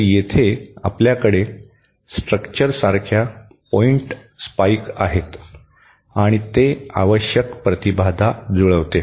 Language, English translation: Marathi, So, here, we have a pointed spike like structure and that provides the required impedance matching